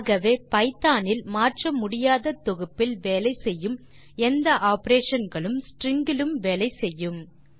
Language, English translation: Tamil, So all the operations that are applicable to any other immutable collection in Python, works on strings as well